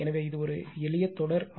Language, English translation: Tamil, So, this is a simple series RLC circuit